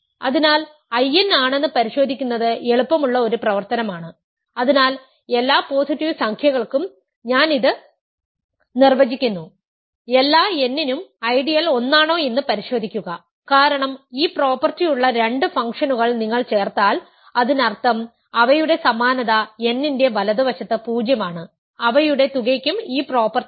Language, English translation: Malayalam, So, it is an easy exercise to check that I n, so I am defining this for every positive integer, check that in is an ideal for all n, that is because if you add two functions which have this property; that means, their identical is 0 to the right of n; their sum also has the property